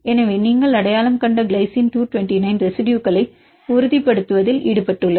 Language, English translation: Tamil, So, glycine 229 you identified is involved in the stabilizing residues